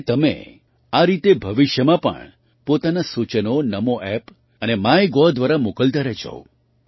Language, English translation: Gujarati, Similarly, keep sending me your suggestions in future also through Namo App and MyGov